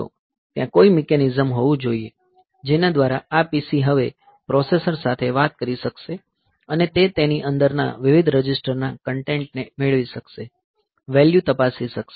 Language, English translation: Gujarati, There must be some mechanism, by which this PC will be able to talk to this processor now and it will be able to get the content of various registers within it, for check the value